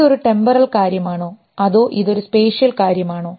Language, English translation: Malayalam, Is it a temporal thing or is it a spatial thing